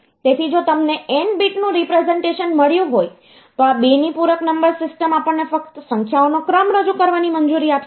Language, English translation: Gujarati, So, if you have got an n bit representation, then this 2’s complement number system, this will allow you to represent a sequence of numbers only